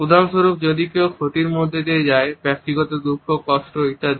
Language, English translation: Bengali, For example, when somebody undergoes some type of a loss, personal grief, suffering etcetera